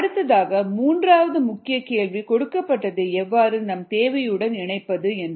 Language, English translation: Tamil, then the third main question: how to connect what is needed to what is given